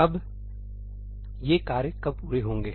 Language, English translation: Hindi, Now, when do these tasks complete